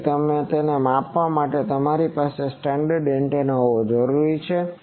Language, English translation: Gujarati, So, you need to have a standard antenna for measuring these